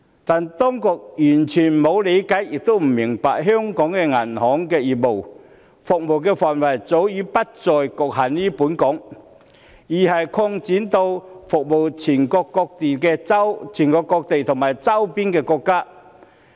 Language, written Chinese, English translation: Cantonese, 但是，當局完全沒有理會，亦不明白香港銀行業的服務範圍早已不再局限於本港，而是擴展到服務全國各地和周邊國家。, That said the authorities have not taken into account or failed to understand the fact that the scope of services of our banking sector is not restricted in Hong Kong but has expanded long ago to cover other Mainland cities and neighbouring countries